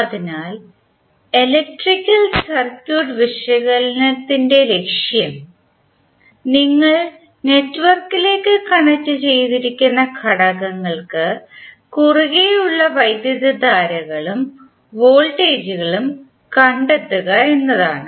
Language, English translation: Malayalam, So the objective of the electrical circuit analysis is that you need to find out the currents and the voltages across element which is connect to the network